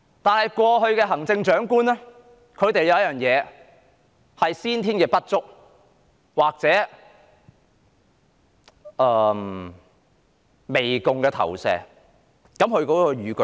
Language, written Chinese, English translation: Cantonese, 但是，過去的行政長官有先天不足，或媚共的心理。, However the past Chief Executives had congenital deficiency or the mentality of fawning on the Communist Party of China